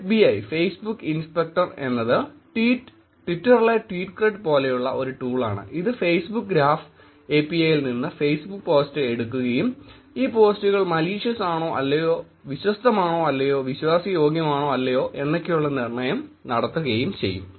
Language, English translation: Malayalam, FBI: stands for Facebook Inspector, a similar tool that is like tweetcred which takes the Facebook post from Facebook graph API and then looks at the posts and make some judgement on how whether these post are malicious or not, credible or not, trust worthy are not